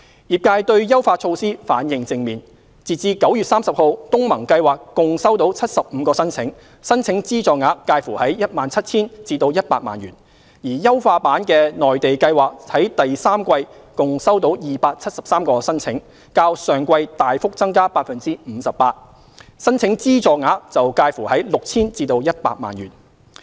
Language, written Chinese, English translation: Cantonese, 業界對優化措施反應正面，截至9月30日，東盟計劃共收到75個申請，申請資助額介乎約 17,000 元至100萬元，而優化版的內地計劃在第三季共收到273個申請，較上季大幅增加 58%， 申請資助額則介乎約 6,000 元至100萬元。, The trade responded positively to the enhancement measures . As at 30 September the ASEAN Programme received 75 applications with the funding amount sought in the range of about 17,000 to 1 million . The enhanced Mainland Programme received 273 applications in the third quarter representing a substantial increase of 58 % as compared to the preceding quarter with the funding amount sought in the range of about 6,000 to 1 million